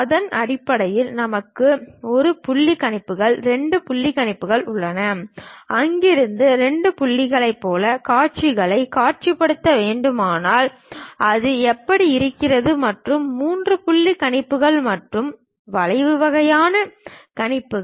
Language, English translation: Tamil, Based on that we have 1 point projections, 2 point projections; like 2 points from there, if we have visualizing the views, how it looks like, and 3 point projections and curvilinear kind of projections we have